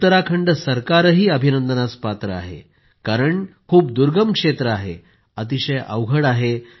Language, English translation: Marathi, The government of Uttarakhand also rightfully deserves accolades since it's a remote area with difficult terrain